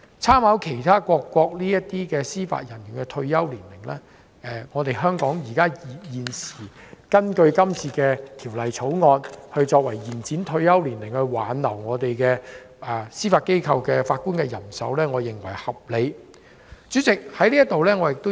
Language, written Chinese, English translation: Cantonese, 參考其他各國司法人員的退休年齡，香港根據《條例草案》延展退休年齡，以挽留本港司法機構法官人手，我認為是合理的。, Referring to the retirement age of judicial officers in other countries I consider it reasonable for Hong Kong to extend the retirement age under the Bill so as to retain Judges in our Judiciary